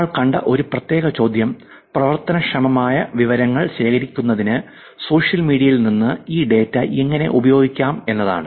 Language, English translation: Malayalam, A specific question that we saw was how we can actually use this data from social media to collect actionable information